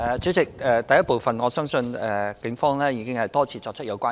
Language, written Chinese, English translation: Cantonese, 主席，就第一部分，我相信警方已經多次作出有關呼籲。, President for the first part of the question I believe the Police have made the relevant appeals time and again